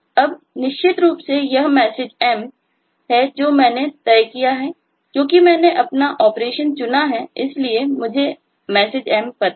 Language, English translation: Hindi, now, certainly this message m is what i have decided on because i have chosen my operation, so i know the message m